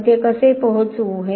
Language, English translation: Marathi, How we reach there